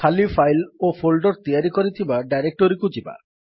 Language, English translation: Odia, We will move to the directory where we have created empty files and folders